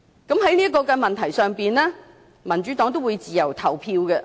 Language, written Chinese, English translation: Cantonese, 對於這項修正案，民主黨的議員會自由投票。, As regards this amendment Members of the Democratic Party will cast their votes freely